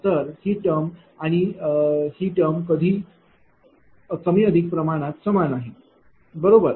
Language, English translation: Marathi, So, this term and this term more or less this term and this term more or less it is same, right